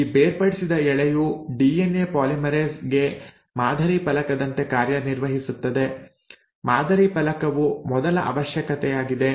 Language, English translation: Kannada, So this separated strand acts like a template for DNA polymerase, the first requirement is a template